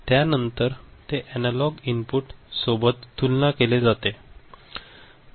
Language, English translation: Marathi, So, that will be compared with the analog input, that will be compared with the analog input